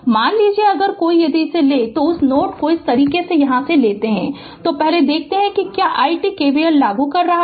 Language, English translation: Hindi, Suppose if you take a if you take a your what you call that node like this from here, first let us see what is i t, you apply KVL